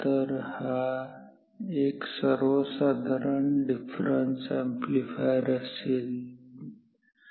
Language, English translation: Marathi, So, this is just a difference amplifier